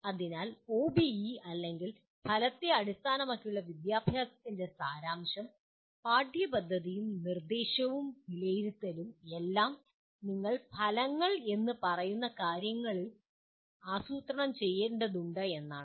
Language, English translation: Malayalam, So the essence of OBE or outcome based education is that the curriculum and instruction and assessment are all to be planned around what you state as outcomes